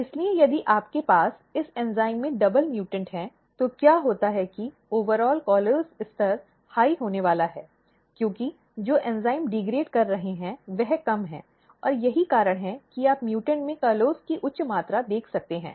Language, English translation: Hindi, So, if you have double mutant in the this enzymes, what happens that the overall callose level is going to be high, because the enzyme which is degrading is less and that is why you can see in the mutants high amount of callose